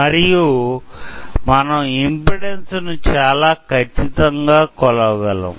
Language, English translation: Telugu, So, we can measure the impedance across it